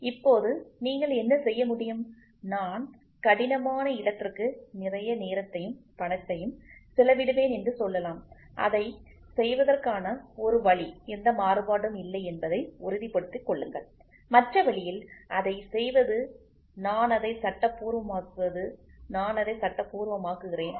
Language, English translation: Tamil, So, now, what you can do, one you can say I will spend hell a lot of time and money and make sure that there is no variation that is one way of doing it, the other way is doing it is I legalize it, I legalize it fine